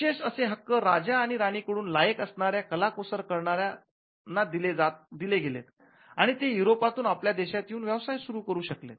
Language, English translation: Marathi, Now, exclusive privileges were granted by the king or the queen to enable craftsman very talented craftsman to come from continental Europe and to setup the businesses here